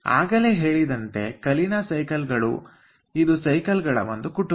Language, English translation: Kannada, as i have told that kalina cycles are a, a family of cycles